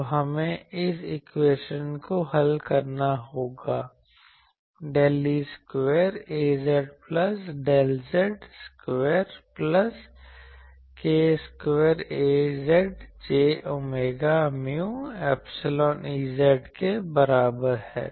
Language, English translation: Hindi, So, we will have to solve this equation del square A z plus del z square plus k square A z is equal to j omega mu epsilon E z